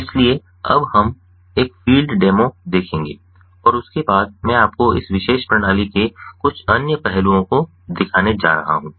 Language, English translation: Hindi, so we will now look at a field demo and thereafter i am going to show you few other different aspects of this particular system